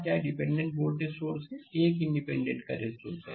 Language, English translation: Hindi, what dependent voltage source is there, one independent current source is there right